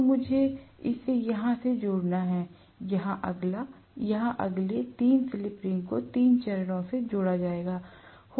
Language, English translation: Hindi, So, I have to connect this here, the next one here, the next one here, 3 slip rings will be connected to the three phases